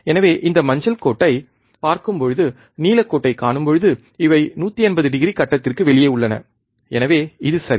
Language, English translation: Tamil, So, when you see this yellow line, and when you see the blue line, these are 180 degree out of phase, 180 degree out of phase right so, this is ok